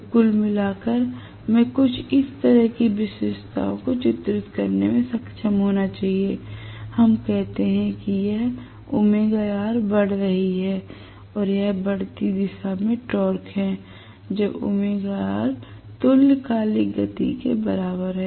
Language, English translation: Hindi, So, on the whole, I should be able to draw the characteristics somewhat like this, let us say this is omega R increasing and this is torque in the increasing direction, when omega R is equal to synchronous speed